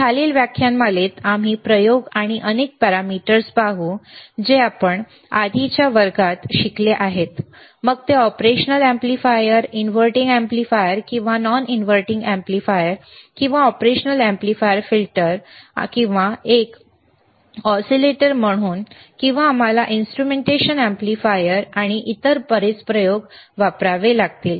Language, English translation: Marathi, So, in the following lectures series, we will see experiments, and several parameters that we have already learnedt in the previous classes, whether it is operational amplifier you have to use a operational amplifier, as an inverting amplifier or it is a non inverting amplifier, or we talk operation amplifier as a filter or we talk operation amplifier as an oscillator